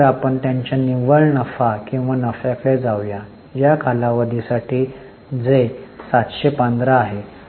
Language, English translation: Marathi, So, let us go to their net profit or profit for the period which is 715